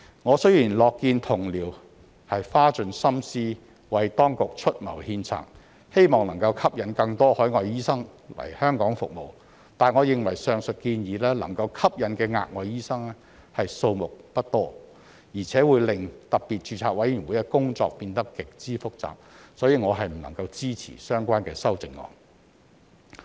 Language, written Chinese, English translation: Cantonese, 我雖然樂見同僚花盡心思為當局出謀獻策，希望能吸引更多海外醫生來香港服務，但我認為上述建議能夠吸引的額外醫生數目不多，而且會令特別註冊委員會的工作變得極之複雜，所以我不能支持相關的修正案。, Although I am glad that my colleagues have racked their brains to make suggestions for the authorities in the hope of attracting more overseas doctors to serve in Hong Kong I think the number of additional doctors that can be attracted by the above proposals is small and the proposals will make the work of the Special Registration Committee SRC extremely complicated so I cannot support the relevant amendments